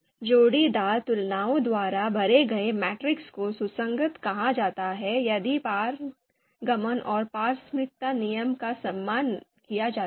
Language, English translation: Hindi, So here it is defined, a matrix filled by the pairwise comparisons is called consistent if the transitivity and reciprocity rules are respected